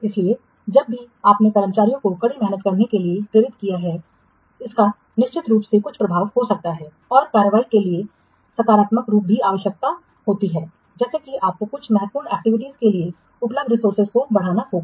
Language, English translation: Hindi, So, exacting staff to work harder might have some effect, although frequently a more positive form of action is required, such as increasing the resources available for some critical activity